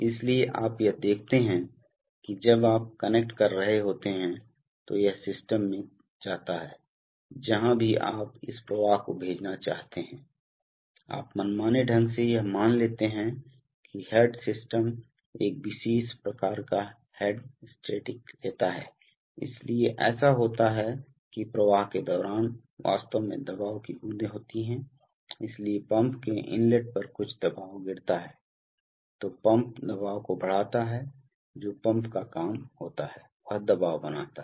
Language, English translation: Hindi, So you see that, when you when you are connecting, so this goes to the system, wherever you want to send this flow and we are just, you know arbitrarily assuming that the head of the, that the system takes a particular kind of static head, so what happens is that during flow there are actually pressure drops, so there is some pressure drop at the inlet of the pump then the pump raises the pressure that is the job of the pump it creates a pressure head